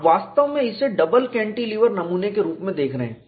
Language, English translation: Hindi, You are actually looking this as a double cantilever specimen